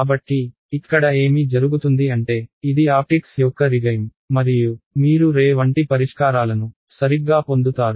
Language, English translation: Telugu, So, what happens over here is you get this is a regime of optics; and you get ray like solutions right ok